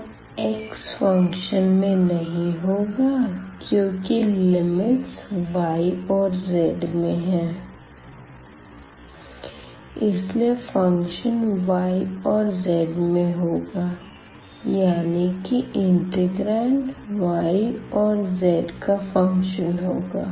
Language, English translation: Hindi, So, we will not see x anymore, but the limits can be here the function of y z here can be the function of y z and then we will have also the y z in the integrand